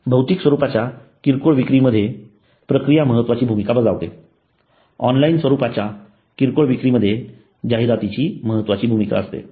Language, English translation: Marathi, Process play important role in physical retail and promotion plays crucial role in online retailing